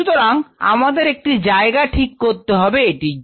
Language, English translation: Bengali, So, we have to have a designated spot for it